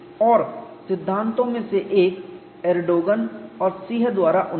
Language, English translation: Hindi, And one of the theories is advanced by Endogen and Sih